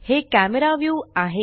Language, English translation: Marathi, This is the Camera View